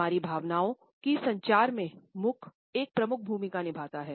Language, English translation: Hindi, Mouth plays a major role in communication of our emotions